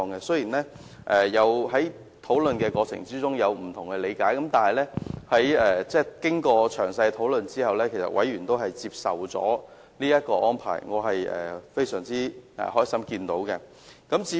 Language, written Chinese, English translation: Cantonese, 雖然委員在討論過程中有不同理解，但經過詳細討論後，委員均接受這個安排，這是我很高興看到的。, Although members had different interpretations of this arrangement during discussions they have accepted this arrangement after discussing it in detail . I am very glad to see this